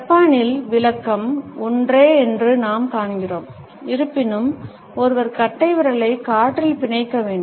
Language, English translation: Tamil, In Japan we find that the interpretation is the same; however, one has to stick the thumb up in the air with a clenched fist